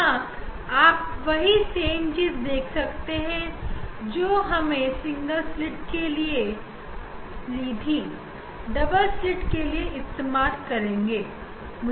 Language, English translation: Hindi, here you see this again the same just we have replace the we have replace the we have replace the single slit by double slit